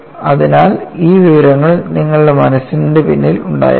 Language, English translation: Malayalam, So, you need to have this information the back of your mind